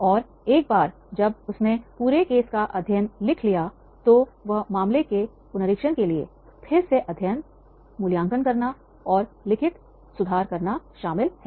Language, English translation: Hindi, And once he has returned the whole case study on the then he will be having the revising of the case study, revising involves the re reading, evaluating and making changes to improve the written case